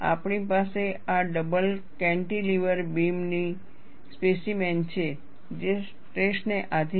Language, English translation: Gujarati, We have this double cantilever beam specimen; it is subjected to tension